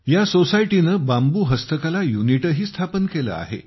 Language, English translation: Marathi, This society has also established a bamboo handicraft unit